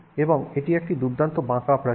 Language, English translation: Bengali, So, it's a nice curved wall